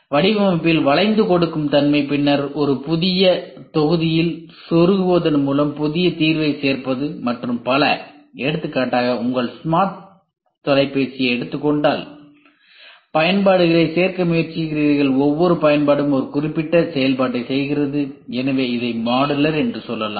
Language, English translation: Tamil, Flexibility in design right, then augmentation adding new solution by merely plugging in a in a new module and so on; for example, if you try to take your smart phone you try adding apps, each app does a particular function so you can say this as modular